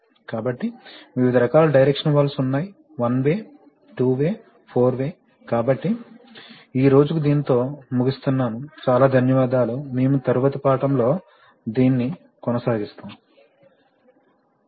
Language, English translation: Telugu, So, there are various types of differ directional valves, one way, two way, four way, so that is all for today thank you very much we will continue with this in the next lesson